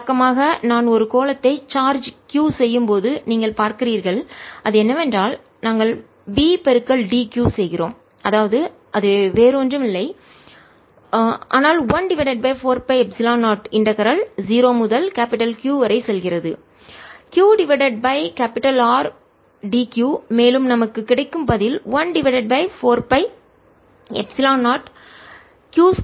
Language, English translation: Tamil, you see, conventionally, when i charge a sphere which with capital, with charge q, what we do is we do v d q, which is nothing but one over four pi, epsilon zero, q over r, d q, q, going from zero to capital q, and that answer we get is one over four pi epsilon zero, q square over two r